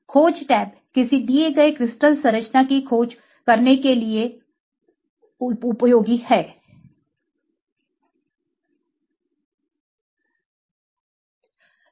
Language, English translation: Hindi, The search tab is for uses to search for a given crystal structure